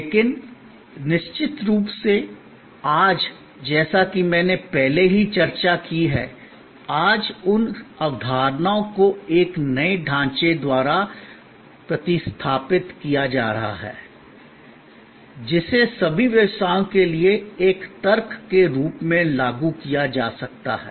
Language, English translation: Hindi, But, of course, today as I have already discussed earlier, today those concepts are being replaced by a new framework, which can be applied as a logic to all businesses